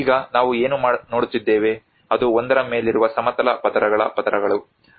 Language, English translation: Kannada, \ \ \ Now, what we can see is the layers of the horizontal layers of one over the another